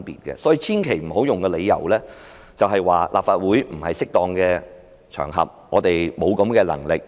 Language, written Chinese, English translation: Cantonese, 所以，大家千萬不要以此為理由，說立法會不是適當的場合，我們沒有這種能力。, Therefore Members must not conclude on this ground that the Legislative Council is unsuitable for and incapable of conducting an investigation